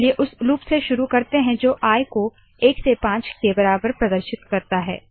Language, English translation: Hindi, Let us begin with the loop that displays i equal to 1 to 5